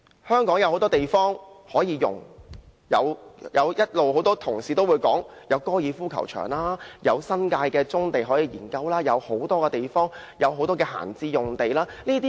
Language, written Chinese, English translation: Cantonese, 香港有很多地方可以用，例如一直有同事提到的高爾夫球場，新界的棕地，多幅閒置的用地都可以研究興建房屋。, There is plenty of land in Hong Kong which can be used . Some Honourable Members have mentioned the examples of golf courses brownfield sites and idle sites